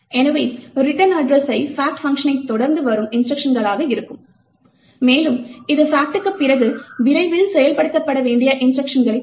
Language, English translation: Tamil, So, the return address would be the instruction just following the fact function and it would indicate the instruction to be executed soon after fact returns